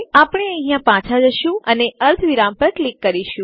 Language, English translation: Gujarati, We go back here and click on semicolon